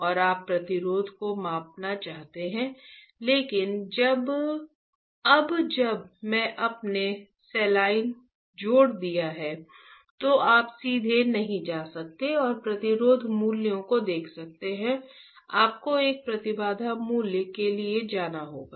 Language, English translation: Hindi, And you want to measure the resistance, but now since you have added the saline you cannot directly go and look at the resistance values, you have to go for an impedance value, what I mean by that